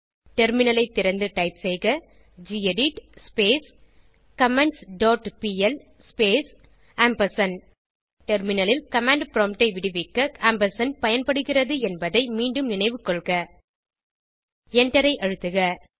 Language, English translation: Tamil, Open the Terminal and type gedit comments dot pl space Once again, reminding you that the ampersand is used to free the command prompt in the terminal and press enter